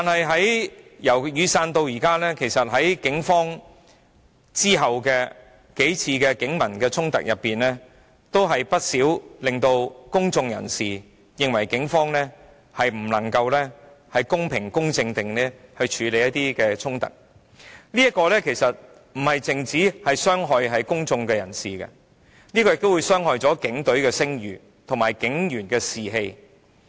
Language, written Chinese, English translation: Cantonese, 在雨傘運動後發生的數次警民衝突中，不少事件均令公眾人士認為警方無法公平公正地處理衝突，不單傷害了公眾人士，亦傷害了警隊的聲譽和警員的士氣。, Many incidents in the several police - public conflicts that happened after the Umbrella Movement have given people the feeling that the Police have failed to handle conflicts fairly and impartially . This has not only done harm to the public but has also undermined the polices reputation and police officers morale